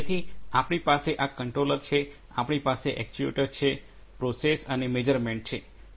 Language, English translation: Gujarati, So, we have this controller, we have the actuator, the process and the measurement right